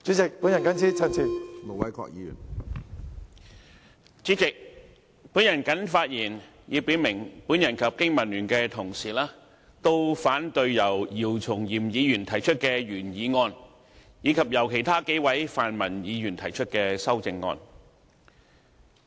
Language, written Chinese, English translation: Cantonese, 主席，我謹此表明，我與香港經濟民生聯盟的同事都反對由姚松炎議員提出的原議案，以及由其他數位泛民議員提出的修正案。, President I hereby state that my colleagues of the Business and Professionals Alliance for Hong Kong BPA and I oppose the original motion moved by Dr YIU Chung - yim as well as the amendments proposed by several pan - democratic Members